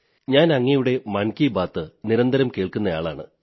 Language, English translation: Malayalam, We shall meet once again in another episode of 'Mann Ki Baat' next month